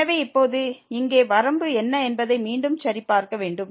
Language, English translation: Tamil, So, we need to check again what is the limit now here